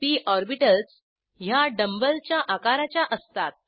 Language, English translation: Marathi, p orbitals are dumb bell shaped